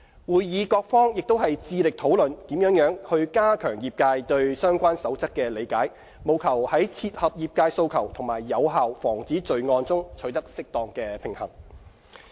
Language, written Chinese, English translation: Cantonese, 會議各方亦致力討論如何加強業界對相關守則的理解，務求在切合業界訴求和有效防止罪案中取得適當平衡。, Parties at the meeting also discussed ways to enhance the trades understanding of the relevant guidelines with a view to achieving a suitable balance between meeting the trades expectations and effective crime prevention